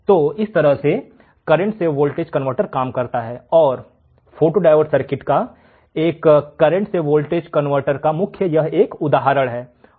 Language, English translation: Hindi, So, this is how the current to voltage converter works, and photodiode circuit is an example of current to voltage converter